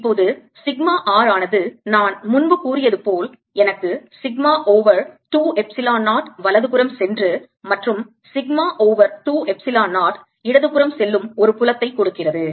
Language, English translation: Tamil, now sigma r, as i said earlier, gives me a field: sigma over two epsilon zero going to the right and sigma over two epsilon zero going to the left